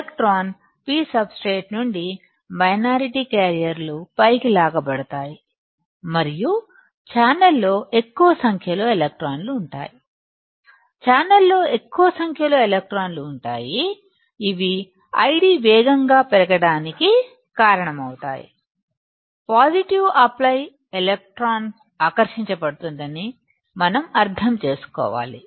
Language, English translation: Telugu, The electron ; the minority carriers from the P substrate will be pulled up and there will be more number of electrons in the channel, there will be more number of electrons in the channel that will cause I D to increase rapidly; see we have to just understand positive apply electron will be attracted